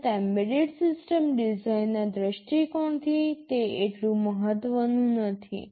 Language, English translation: Gujarati, Of course, it is not so much important from the point of view of embedded system design